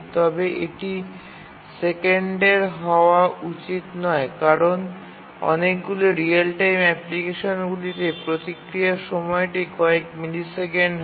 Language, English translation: Bengali, But it cannot be, should not be seconds because in any real time application, the response time itself is only few milliseconds